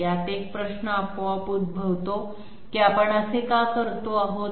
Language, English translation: Marathi, Now one question automatically appears that why are we doing this